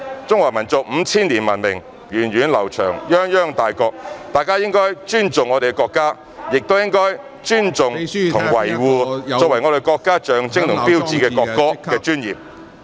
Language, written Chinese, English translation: Cantonese, 中華民族五千年文明源遠流長，泱泱大國，大家應該尊重我們的國家，亦應該尊重和維護作為國家的象徵和標誌的國歌......, The Chinese nation has a long history with 5 000 years of civilization making it great and impressive . We should respect our country and also respect and protect the national anthem which is the symbol and sign of the country